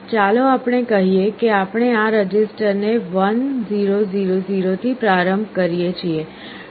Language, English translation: Gujarati, Let us say we initialize this register with 1 0 0 0